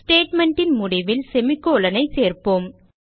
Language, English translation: Tamil, So, let us insert semicolon at the end of the statement